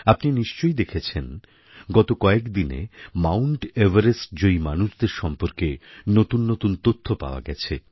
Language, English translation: Bengali, Recently, you must have come across quite a few notable happenings pertaining to mountaineers attempting to scale Mount Everest